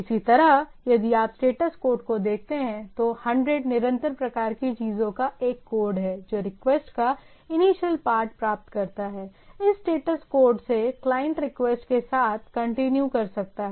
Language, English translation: Hindi, Similarly, if you look at the status code, 100 is a code of continue type of things that the initial part of the request has been received, the client may continue with the request, this is the status code